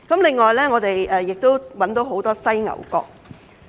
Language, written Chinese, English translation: Cantonese, 另外，我們亦檢獲很多犀牛角。, Besides large seizures of rhinoceros horns were also recorded in Hong Kong